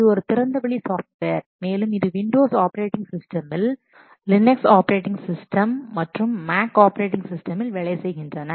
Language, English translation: Tamil, It is a very open source software that runs under the what Windows operating systems, Linux operating systems and Mac operating systems